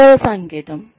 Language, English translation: Telugu, The second sign